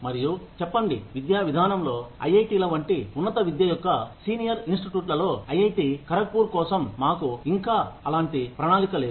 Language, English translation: Telugu, And say, in academics, in the senior institutes of higher education, like IITs, of course, for IIT Kharagpur we do not have, any such plan, yet